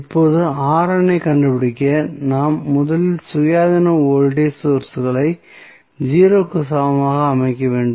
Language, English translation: Tamil, Now, what we have to do to find R n, we have to first set the independent voltage sources equal to 0